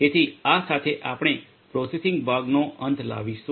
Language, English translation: Gujarati, So, with this we come to an end of the processing part and